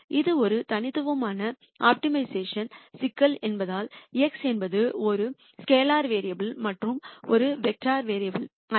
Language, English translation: Tamil, And since this is a univariate optimization problem x is a scalar variable and not a vector variable